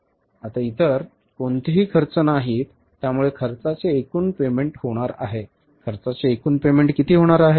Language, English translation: Marathi, So, total payment for expenses is going to be total payment for expenses is going to be how much